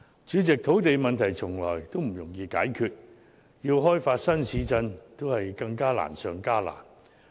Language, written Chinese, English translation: Cantonese, 主席，土地問題從來不容易解決，要開發新市鎮更是難上加難。, President solving land problem is never an easy task developing new towns is even harder